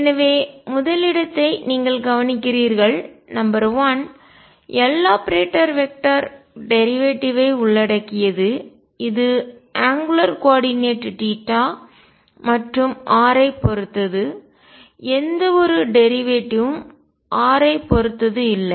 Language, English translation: Tamil, So, you notice that number one, L operator involves derivative with respect to angular coordinates theta and phi only there is no derivative with respect to r